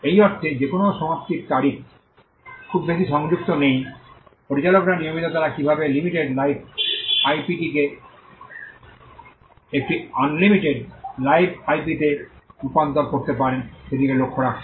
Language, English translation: Bengali, In the sense that there is no expiry date attached too so, managers are constantly looking at how they can convert a limited life IP into an unlimited life IP